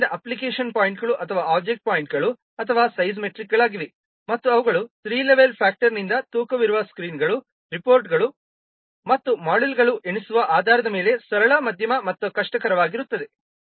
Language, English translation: Kannada, So the application points or object points, they are size matrix and they are based on counting the number of screens, reports, and modules which are weighted by a three level factor, may be simple, medium, and difficult